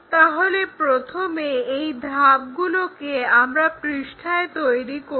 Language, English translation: Bengali, First of all let us construct these steps on our sheet